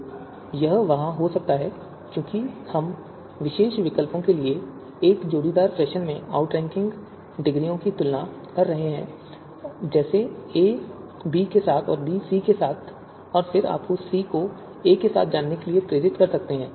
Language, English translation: Hindi, So this might be there because you know we are comparing the even we are you know comparing the outranking degrees in a pairwise fashion for pairwise fashion for two particular alternatives, you know a is a a with b and then b with c and then it might lead to you know c with a